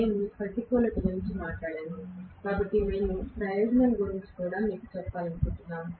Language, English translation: Telugu, We talked about disadvantage, so I wanted to tell you about the advantage as well